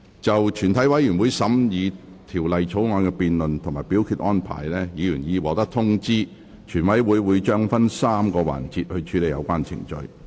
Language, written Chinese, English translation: Cantonese, 就全體委員會審議《條例草案》的辯論及表決安排，議員已獲通知，全委會將會分3個環節處理有關程序。, Regarding the debate and voting arrangements for committees consideration of the Bill Members have been informed that committee will deal with the relevant proceedings in three sessions